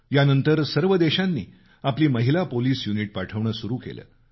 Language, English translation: Marathi, Later, all countries started sending their women police units